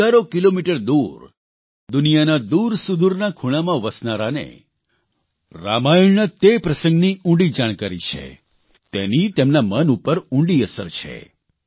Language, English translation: Gujarati, People residing thousands of kilometers away in remote corners of the world are deeply aware of that context in Ramayan; they are intensely influenced by it